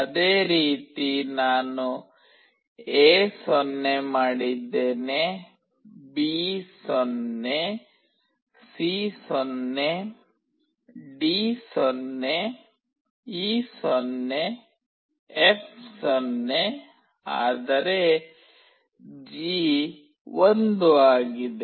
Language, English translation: Kannada, Similarly that is what I have done A0, B0, C0, D0, E0, F0, but G is 1